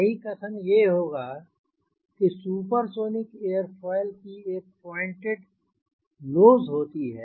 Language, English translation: Hindi, correct statement would be: use supersonic aerofoil which have pointed nose